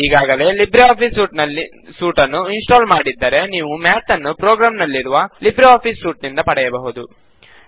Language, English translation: Kannada, If you have already installed Libreoffice Suite, then you will find Math in the LibreOffice Suite of programs